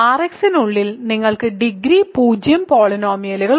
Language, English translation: Malayalam, So, inside R x you have degree 0 polynomials